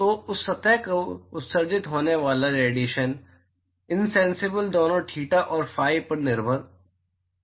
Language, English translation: Hindi, So, the radiation that is emitted by that surface insensible dependent on both theta and phi